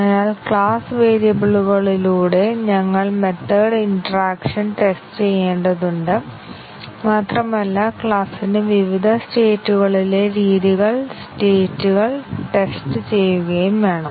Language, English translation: Malayalam, So, not only that we have to test the method interactions through class variables but also we need to test the states the methods at different states of the class